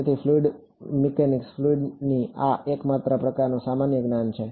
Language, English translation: Gujarati, So, fluid mech fluid mechanics this is just sort of general knowledge